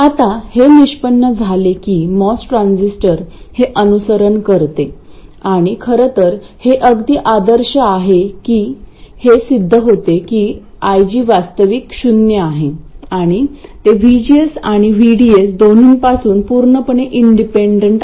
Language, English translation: Marathi, Now, it turns out that the mass transistor follows this and in fact it is quite ideal, it turns out that IG is actually zero and it is completely independent of VGS and VDS and VDS